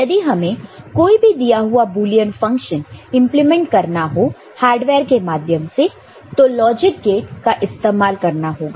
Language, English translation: Hindi, Now, if you want to implement a Boolean function, any given Boolean function, we want to implement it using hardware